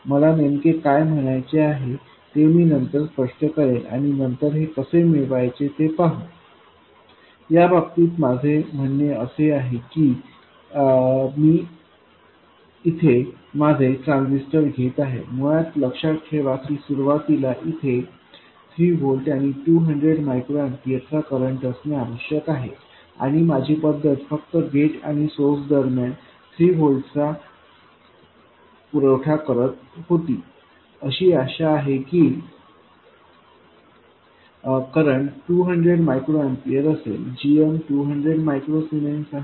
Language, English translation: Marathi, What I mean in this case is that I take my transistor, remember originally it had to have 3 volts and a current of 200 microamperors and my method was to just apply 3 volts between gate and source and hope that the current is 200 microamperes and GM is 200 microzymes and so on